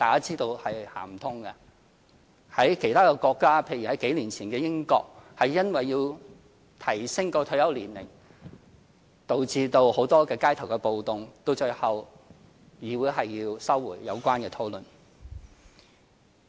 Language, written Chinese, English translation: Cantonese, 在其他國家，例如數年前的英國，因為要提升退休年齡而導致很多街頭暴動，最後議會要收回有關討論。, In other countries such as England a few years ago a series of riots broke out because of a plan to raise the retirement age forcing the Parliament to withdraw the relevant discussion . The case of Japan has been mentioned just now